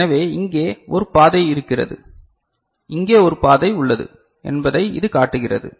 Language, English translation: Tamil, So, this shows that there is a path over here, there is a path over here